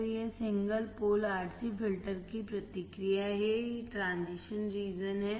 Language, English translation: Hindi, So, this is response of single pole RC filter, and this is the transition region